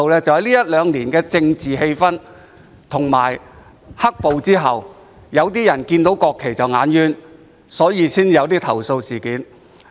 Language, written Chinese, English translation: Cantonese, 就是因為這一兩年的政治氣氛，以及"黑暴"後有些人看到國旗便覺得礙眼，因此才會出現投訴事件。, There were complaints because of the political atmosphere in these two years and the fact that some people find the national flag an eyesore after the black - clad violence